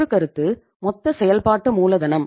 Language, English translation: Tamil, We have 2 concepts of working capital